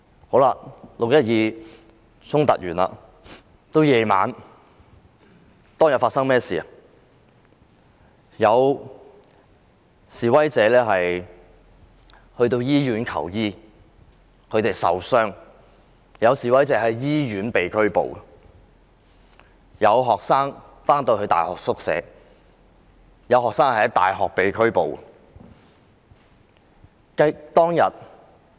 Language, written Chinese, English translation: Cantonese, 經過6月12日的衝突後，到晚上有示威者因為受傷而前往醫院求醫，但竟然在醫院被拘捕；又有學生返回大學後，在宿舍內被拘捕。, After the conflicts on 12 June some injured protesters went to hospitals at night to seek medical attention yet unexpectedly they were arrested in the hospital . Some students who returned to university were arrested in the dormitory